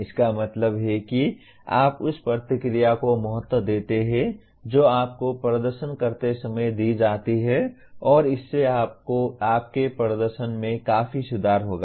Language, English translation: Hindi, That means you value the feedback that is given to you when you are performing and that will greatly improve your performance